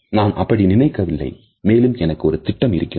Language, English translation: Tamil, I do not think so, and I have plans